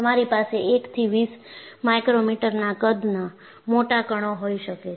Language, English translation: Gujarati, So, you could have large particles which are of size 1 to 20 micrometers